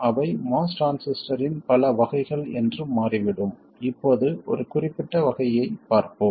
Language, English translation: Tamil, And it turns out that there are many varieties of MOS transistor and we will look at one particular variety for now